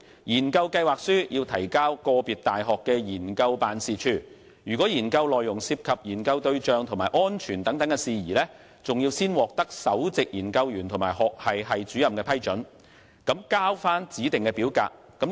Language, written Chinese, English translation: Cantonese, 研究計劃書須提交個別大學的研究辦事處，若研究內容涉及研究對象及安全事宜，須先獲首席研究員及學系系主任批准，並須交回指定表格。, The proposal has to be submitted to the research office of the university concerned . Should the contents of the research involve a target and safety matters approval must first be sought from the principal researcher and the Head of Department and the specified form must be returned